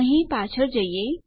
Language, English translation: Gujarati, Lets go back here